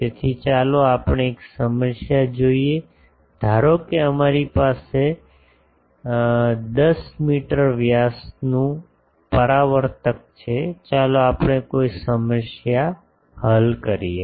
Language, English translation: Gujarati, So, let us see a problem that suppose we have a 10 meter diameter reflector; a let us do a problem